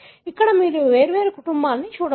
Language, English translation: Telugu, You can see here there are three different families